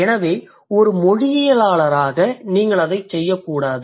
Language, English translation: Tamil, So as a linguist you are not supposed to do that